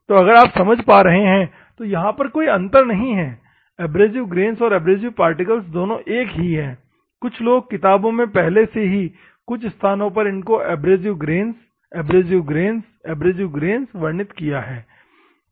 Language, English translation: Hindi, So, there is no difference if you are understanding, it is same abrasive grains al to abrasive particles both are same some people in textbooks, already some places it is already mentioned abrasive grains, abrasive grains, abrasive grains